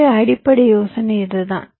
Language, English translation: Tamil, ok, so the idea is this